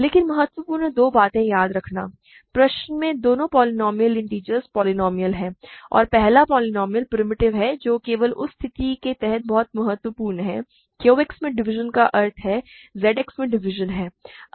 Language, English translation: Hindi, But the important two things to remember; both polynomials in question are integer polynomials and the first polynomial is primitive that is very important only under that situation division in Q X implies division in f x, sorry division in Q X implies division in Z X